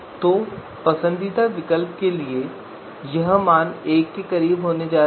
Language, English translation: Hindi, So for the preferred alternative this value is going to be closer to one